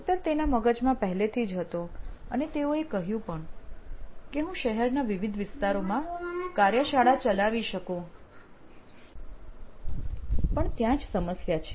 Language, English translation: Gujarati, The answer was already on top of his mind saying well, I could have many more workshops in different parts of the city and here we get into a problem